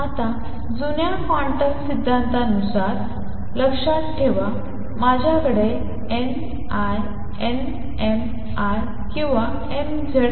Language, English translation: Marathi, Now remember from the old quantum theory I had n l n m l or m z quantum numbers